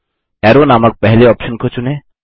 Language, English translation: Hindi, Select the first option named Arrow